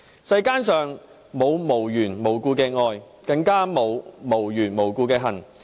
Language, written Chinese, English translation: Cantonese, "世間上沒有無緣無故的愛，更沒有無緣無故的恨"。, There is no such thing as love without a reason and hatred without a cause